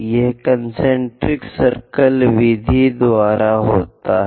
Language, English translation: Hindi, Ah, this is by concentric circle method